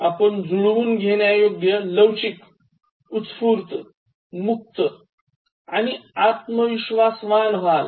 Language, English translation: Marathi, You will become adaptable, flexible, spontaneous, open and confident